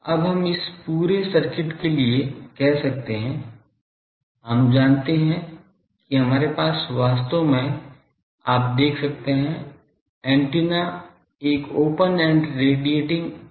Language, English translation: Hindi, Now, we can for this whole circuit, we know that we can have a actually you see antenna is a open end radiating thing